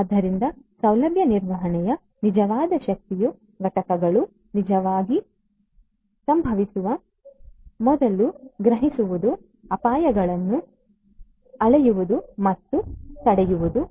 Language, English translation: Kannada, So, the real power of facility management is to predict the events before they actually occur and to measure and prevent the predicted hazards